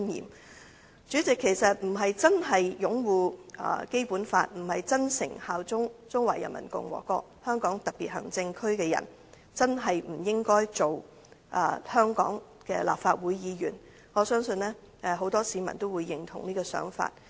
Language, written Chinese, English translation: Cantonese, 代理主席，不是真的擁護《基本法》、不是真誠效忠中華人民共和國香港特別行政區的人，便真的不應該擔任香港立法會議員，我相信很多市民均會認同這想法。, Deputy President people who do not genuinely uphold the Basic Law and who do not sincerely swear allegiance to the Hong Kong Special Administrative Region of the Peoples Republic of China really should not hold office as Members of the Legislative Council of Hong Kong . I believe many members of the public will share this view